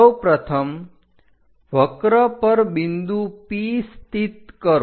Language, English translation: Gujarati, First of all, locate the point on the curve P